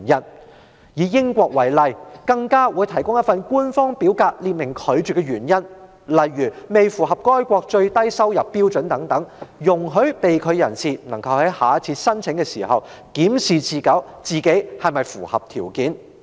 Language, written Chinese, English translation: Cantonese, 例如，英國會提供一份官方表格，列明拒發簽證的原因，如未能符合該國最低收入標準等，以便被拒發簽證人士在下次申請時檢視自己是否符合要求。, For example the United Kingdom will provide an official form stating the reasons for refusal to issue a visa eg . failure to meet the countrys minimum income standard etc so that the person being denied a visa would review if heshe meets the requirements when heshe applies again